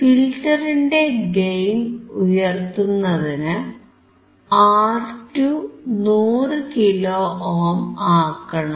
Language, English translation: Malayalam, And to increase the gain of filter replace R2 with 100 kilo ohm